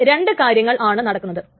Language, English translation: Malayalam, Okay, now a couple of things is happening